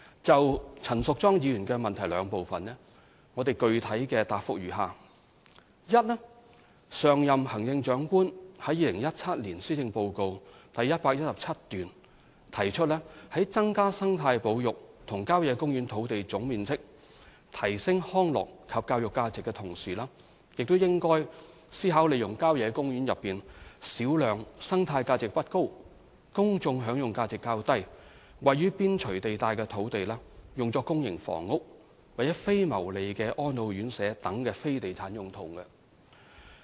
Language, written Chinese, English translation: Cantonese, 就陳淑莊議員質詢的兩部分，我的具體答覆如下：一上任行政長官於2017年施政報告第117段中提出，在增加生態保育及郊野公園土地總面積、提升康樂及教育價值的同時，也應該思考利用郊野公園內小量生態價值不高、公眾享用價值較低、位於邊陲地帶的土地用作公營房屋、非牟利的安老院舍等非地產用途。, My specific responses to the two - part question by Ms Tanya CHAN are as follows 1 In paragraph 117 of the 2017 Policy Address the then Chief Executive stated that while increasing the total area of ecological conservation sites and country parks and enhancing their recreational and educational values the community should also consider allocating a small proportion of land on the periphery of country parks with relatively low ecological and public enjoyment value for purposes other than real estate development such as public housing and non - profit - making elderly homes